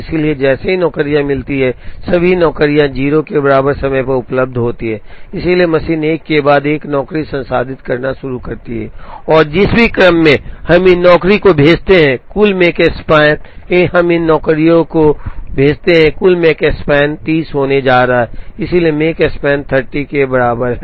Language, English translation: Hindi, So, as soon as the jobs, all the jobs are available at time equal to 0, so the machine starts processing 1 job after another and in whatever order, we send these jobs, the total Makespan is going to be 30, so Makespan is equal to 30